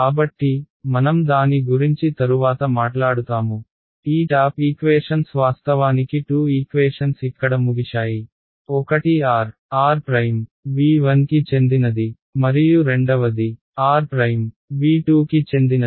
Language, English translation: Telugu, So, we will talk about that subsequently, this the top equations there are actually 2 equations are over here one is when r belongs to r r prime belongs v 1 and the second is r prime belongs to v 2